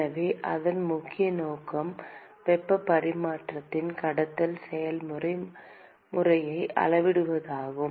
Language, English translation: Tamil, So, its key purpose is to quantify conduction process mode of heat transfer